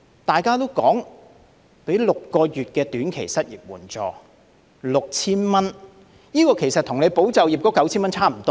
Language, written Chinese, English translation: Cantonese, 大家說的就是提供6個月短期失業援助，每月 6,000 元，這與"保就業"的 9,000 元差不多。, We are talking about the provision of short - term unemployment assistance of 6,000 per month for six months which is more or less the same as the 9,000 provided under ESS